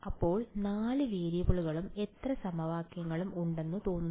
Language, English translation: Malayalam, So, there seem to be 4 variables and how many equations